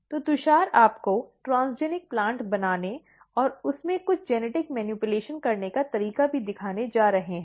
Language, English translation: Hindi, So, Tushar is also going to show you or demonstrate you how to make transgenic plant and how to do some genetic manipulation in it